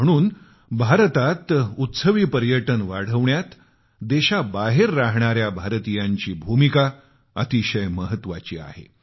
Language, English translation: Marathi, Hence, the Indian Diaspora has a significant role to play in promoting festival tourism in India